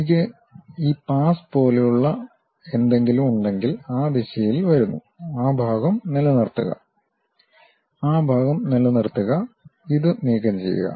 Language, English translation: Malayalam, If I have something like this pass, comes in that direction, retain that part, retain that part and remove this